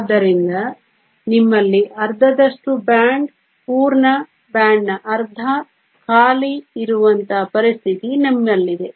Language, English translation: Kannada, So, You have a situation where you have half of the band, there is full, half of the band, there is empty